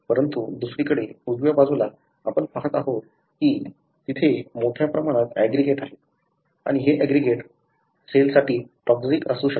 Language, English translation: Marathi, But on the other hand, on the right side, you see that there are large aggregates that are seen and these aggregates can be toxic to the cell